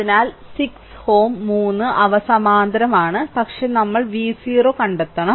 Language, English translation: Malayalam, So, 6 ohm and 3 ohm, they are in parallel, but we have to find out v 0